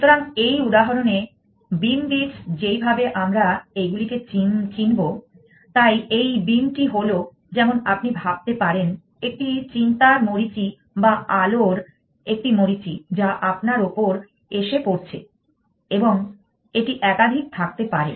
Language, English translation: Bengali, So, in this example beam beats as to be called as to, so this beam is like you can think of a like a beam of thoughts light know you should shining into and you can have more than one